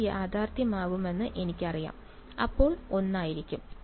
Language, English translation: Malayalam, When I know it is going to be real, that could be one thing